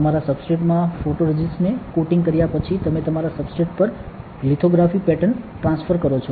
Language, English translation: Gujarati, After coating photoresist onto your substrate, you do lithography pattern transfer onto your substrate